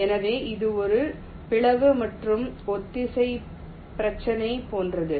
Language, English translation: Tamil, so it is like a divide and concur problem